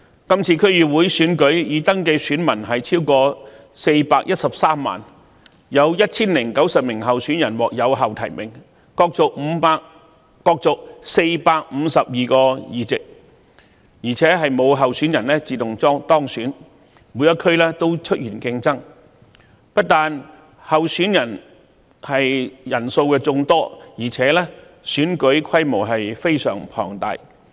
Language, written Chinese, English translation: Cantonese, 今次區議會選舉的已登記選民超過413萬人，有 1,090 名候選人獲有效提名，角逐452個議席，而且沒有候選人自動當選，每一區均出現競爭，不單候選人人數眾多，選舉規模亦非常龐大。, There are more than 4.13 million registered voters in the DC Election this year and 1 090 validly nominated candidates will compete for 452 seats . Moreover no candidate will be returned uncontested and a competition will take place in all constituencies . Apart from involving a large number of candidates the election is also of a very large scale